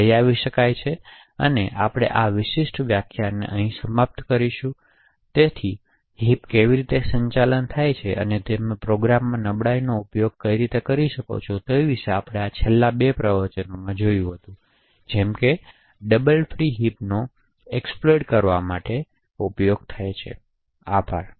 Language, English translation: Gujarati, So with this we will actually wind up this particular lecture, so we had seen in this last two lectures about how heaps are managed and how you could actually use vulnerabilities in the program such as a double free vulnerability to exploit the heap, thank you